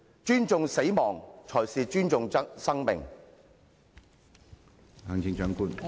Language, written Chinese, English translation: Cantonese, 尊重死亡，才是尊重生命。, Respect for life consists in respect for death